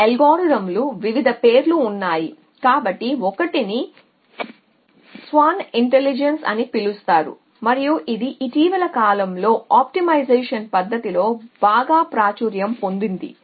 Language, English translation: Telugu, And there are various names by which these algorithms go so 1 is all swarm intelligence and it is in quite popular as optimization method in the recent pass